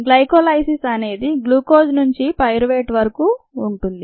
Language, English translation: Telugu, the glycolysis itself is suppose to be from glucose to pyruvate